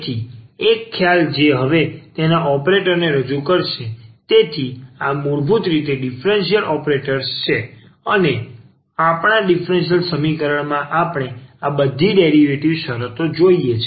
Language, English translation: Gujarati, So, one concept which will introduce now its operator, so these are the basically the differential operators and in our differential equation we do see all these derivative terms